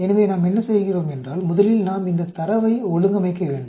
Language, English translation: Tamil, First we need to organize this data